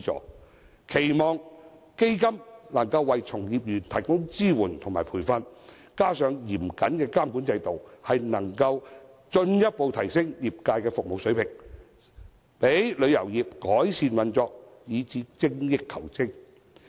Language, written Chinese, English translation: Cantonese, 我期望基金可為從業員提供支援和培訓，加上嚴謹的監管制度，能夠進一步提升業界的服務水平，讓旅遊業改善運作，以達致精益求精。, I expect that the fund can provide support and training to practitioners of the trade and coupled with a stringent regulatory regime the service standards of the trade can be further enhanced to allow the tourism industry to improve its operation so as to strive for perfection